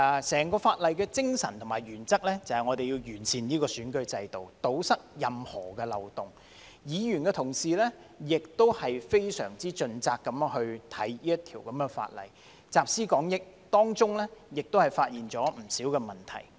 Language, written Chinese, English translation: Cantonese, 整項法案的精神和原則，便是要完善選舉制度，堵塞任何漏洞；議員亦非常盡責地審議這項法例，集思廣益，當中亦發現不少問題。, The spirit and principles of the Bill as a whole are to improve the electoral system and plug the loopholes . Members have examined the Bill in an extremely responsible manner drawn on collective wisdom and identified many problems